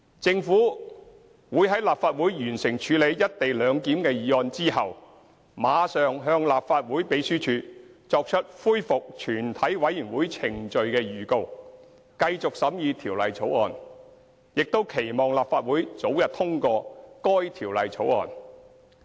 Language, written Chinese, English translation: Cantonese, 政府會在立法會完成處理"一地兩檢"的議案後，馬上向立法會秘書處作出恢復全體委員會程序的預告，繼續審議《條例草案》，並期望立法會早日通過該《條例草案》。, After the Legislative Council has dealt with the motion on the co - location arrangement the Government will immediately give notice to the Legislative Council Secretariat of its intention to resume the proceedings of the committee to continue with the scrutiny of the Bill . We hope that the Legislative Council will pass the Bill as soon as possible